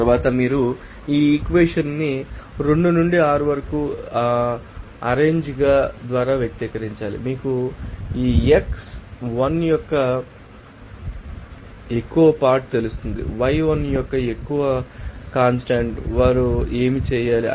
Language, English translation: Telugu, Next, you have to express this equation 2 to 6 by rearranging it what will be the, you know more fraction of x1, what would the more fraction of y1 what should they do